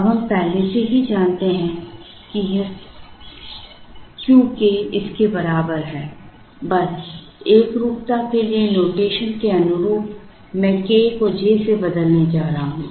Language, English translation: Hindi, Now we already know this Q k is equal to this now, just to be consistent with the rotation I am going to replace k by j